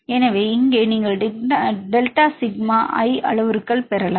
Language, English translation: Tamil, So, here you can get the delta sigma i parameters